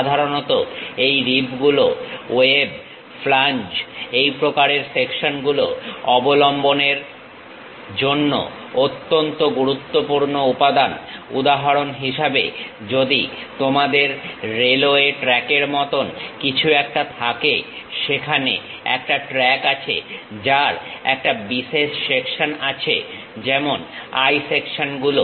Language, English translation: Bengali, Typically these ribs, web, flanges this kind of sections are crucial materials to support; for example, like if you have a railway track, there is a track is having one specialized section like eye sections